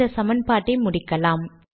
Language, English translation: Tamil, Lets complete this equation